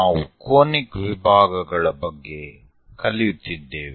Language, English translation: Kannada, We are learning about Conic Sections